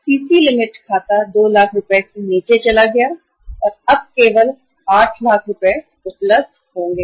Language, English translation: Hindi, The CC limit account has gone down by 2 lakh rupees and now only 8 lakh of the funds will be available